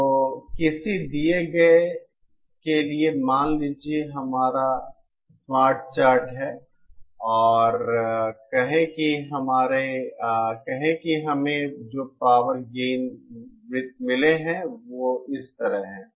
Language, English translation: Hindi, So for a given, suppose this is our smart chart and say the power gain circles that we obtained are like this